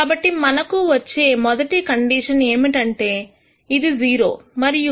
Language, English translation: Telugu, So, the rst condition that we will get is that this is 0